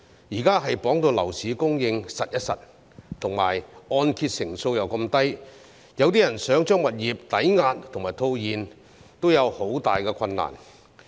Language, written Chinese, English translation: Cantonese, 現在樓市供應被綁死，按揭成數又這麼低，有些人想把物業抵押和套現，亦很困難。, As housing supply has been curbed and the loan - to - value ratio on mortgage loans is so low people find it very difficult to mortgage their properties and cash out